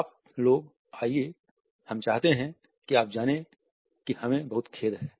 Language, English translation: Hindi, Come on you guys we want you to know we are very very sorry